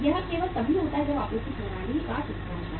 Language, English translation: Hindi, That only happens when there is a breakdown of the supply system